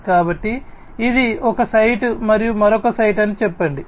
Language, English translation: Telugu, So, let us say that this is one site and this is another site, right